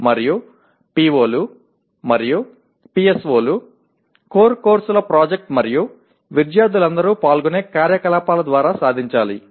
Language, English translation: Telugu, And POs and PSOs are to be attained through core courses project and activities in which all students participate